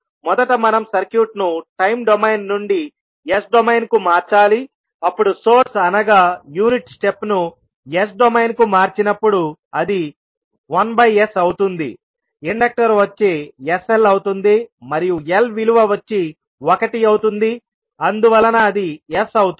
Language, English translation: Telugu, First we have to transform the circuit from time domain into s domain, so the source which is unit step function when you will convert into s domain it will become 1 by S, inductor will become the inductor is sL and value of L is 1so it will become S